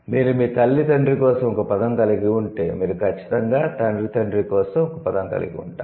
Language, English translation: Telugu, If you have a word for the mother's father, then you would surely have a word for the father's father